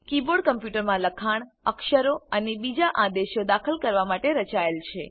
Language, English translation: Gujarati, The keyboard is designed to enter text, characters and other commands into a computer